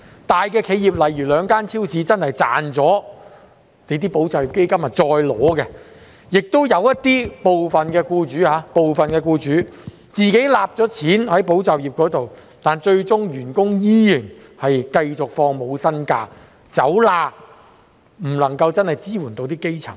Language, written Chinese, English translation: Cantonese, 一些大企業例如兩間連鎖超市，它們賺了保就業基金後是可以再次領取的，亦有部分僱主是在取得保就業基金後，其員工最終依然要放取無薪假期，走"法律罅"，不能夠真正支援基層人士。, Some big enterprises such as the two mega chain supermarkets may claim the wage subsidies under the Employment Support Scheme again after claiming them in the first round . Some employers have applied for the wage subsidies under the Employment Support Scheme but eventually their employees have to take unpaid leaves . With such legal loopholes the Scheme cannot give real help to grass - roots people